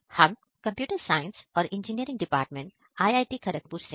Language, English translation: Hindi, We are from Computer Science and Engineering department IIT, Kharagpur